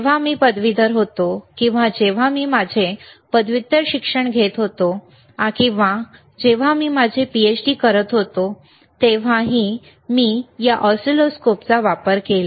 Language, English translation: Marathi, wWhen I was in my undergrad, or when I was doing my post graduation, or even I when I was doing my PhD I used this oscilloscope